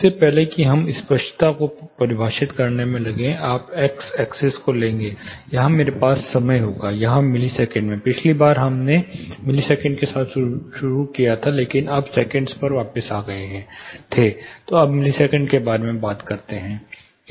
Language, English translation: Hindi, (Refer Slide Time: 14:47) Before we get in to defining clarity you take; in x axis I will have time, here in a millisecond, last time know we started with millisecond went back to second, let us now stick to milliseconds